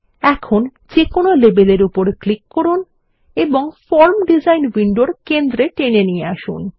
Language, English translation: Bengali, Now let us click and drag on any label, toward the centre of the form design window